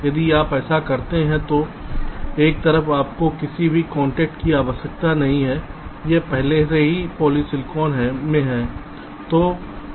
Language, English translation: Hindi, if you do that, so on one side you do not need any contact, it is already in polysilicon